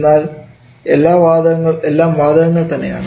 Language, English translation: Malayalam, They will always remain as gaseous